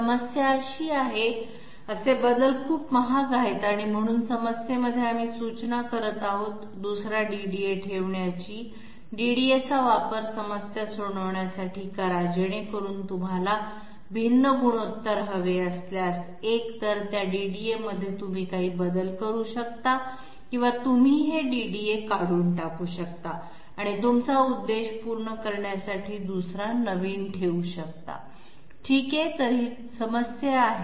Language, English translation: Marathi, The problem is, such changes are very expensive and therefore in the problem we are suggesting, put another DDA sorry make use of DDAs to solve the problem so that if you require a different ratio, either in those DDAs you can make some change or you can remove these DDAs and put some other one to serve your purpose, ok so this is the problem